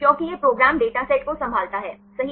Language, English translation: Hindi, Because this program handles huge data sets right